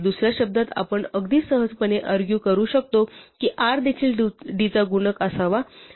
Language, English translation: Marathi, In other words, we can argue very easily that r must also be a multiple of d